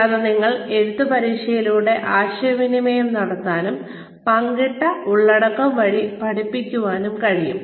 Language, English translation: Malayalam, And, you can communicate via written test, and learn via shared content